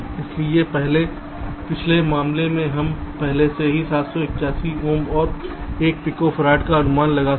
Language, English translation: Hindi, so ah, in the previous case we have already estimated this where seven, eight ohms and one picofarad